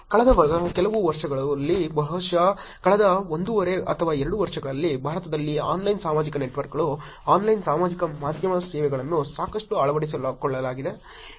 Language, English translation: Kannada, In the last few years probably last one and half or 2 years there is a lot of adoption of Online Social Networks, Online Social Media services in India also